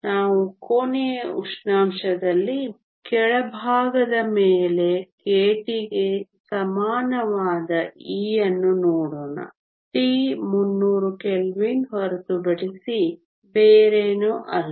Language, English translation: Kannada, Let us look at e equal to k t above the bottom at room temperature t is nothing but 300 kelvin